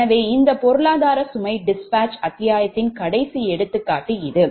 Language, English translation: Tamil, so this is the last example for this economic load dispatch chapter